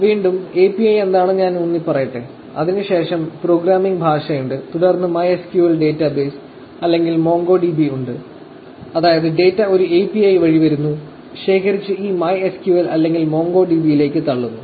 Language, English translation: Malayalam, So, again, let me emphasize which is API; then, there is programming language; then, there is MySQL database or MongoDB, which is data is coming through an API, collected and dumped into this MySQL or MongoDB